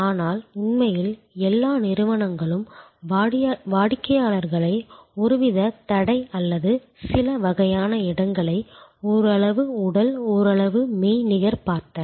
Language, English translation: Tamil, But, really all organizations looked at customers across some kind of a barrier or some kind of a place somewhat physical, somewhat virtual